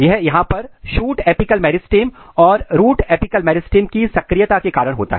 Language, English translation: Hindi, This is because of the activity of shoot apical meristem here and root apical meristem here